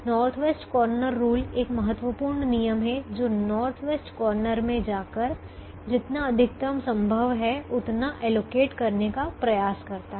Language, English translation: Hindi, the principle in the north west corner rule is: go to the north west corner and try to allocate as much as you can